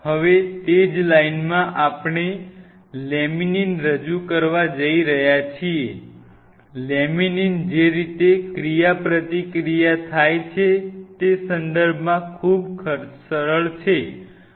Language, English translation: Gujarati, Now, in the same line we were about to introduce the laminin, laminin is much simpler in that respect the way the interaction happens